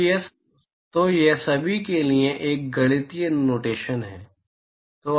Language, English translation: Hindi, So, it is just a mathematical notation for all